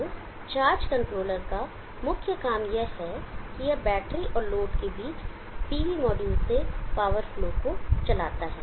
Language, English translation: Hindi, So the main job of the charge controller is that it steers the power flow from the PV module between the battery and the load